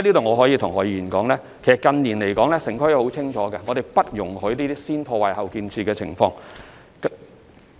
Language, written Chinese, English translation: Cantonese, 我可以在此告訴何議員，近年城規會已很清楚表明，不會容許這種"先破壞、後建設"的情況。, I can tell Mr HO here that in recent years TPB has already made it very clear that the act of destroy first and build later will not be permitted